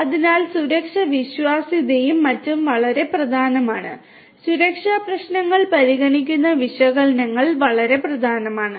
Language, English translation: Malayalam, So, safety reliability and so on are very very important and so, analytics considering safety issues are very important